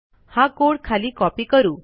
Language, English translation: Marathi, Well now copy this code down